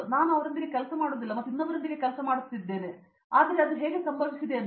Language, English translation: Kannada, But I am not working with him and I am working with somebody else, but that’s how it all happened